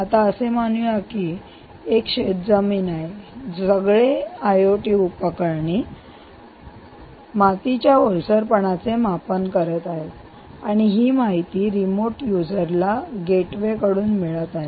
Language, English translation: Marathi, assume that this is a farm land, all these i o t devices are measuring the soil moisture and that data is going through the gateway to this remote user